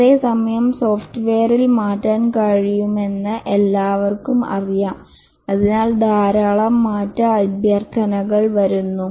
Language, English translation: Malayalam, Whereas everybody knows that software can be changed and therefore lot of change requests come